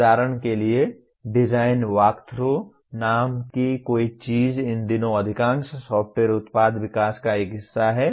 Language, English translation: Hindi, For example something called design walkthroughs is a part of most of the software product development these days